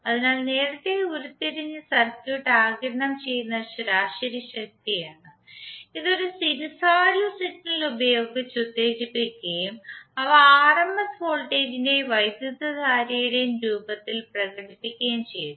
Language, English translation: Malayalam, So earlier what we derive was the average power absorbed by the circuit which is excited by a sinusoidal signal and we express them in the form of voltage rms voltage and current